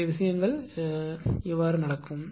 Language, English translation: Tamil, So, how how things will happen